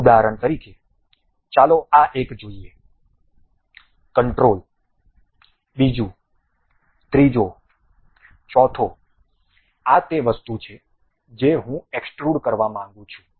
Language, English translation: Gujarati, For example, let us look at this one control, second, third, fourth this is the thing what I would like to extrude